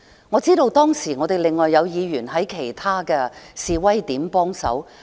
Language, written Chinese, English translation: Cantonese, 我知道當時我們另外有議員在其他示威地點幫忙。, At that time I knew we had some Members offering help at other locations of demonstration